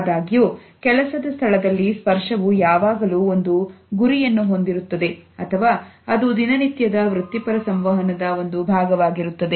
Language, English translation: Kannada, However, we find that in the workplace touch is always related to a goal or it is a part of a routine professional interaction